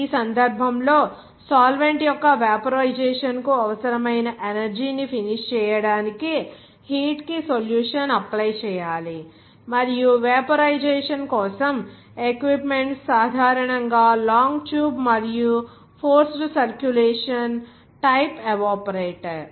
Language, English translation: Telugu, In this case, heat must apply to the solution to finish the energy required for the vaporization of the solvent and equipment for evaporation is generally long tube and forced circulation type evaporator